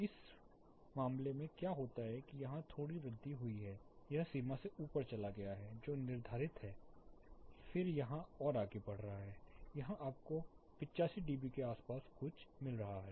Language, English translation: Hindi, In this case what happens there is a slight increase here it has gone up above the limit which is prescribed then it is going further up here, here you are getting something close to 85 dB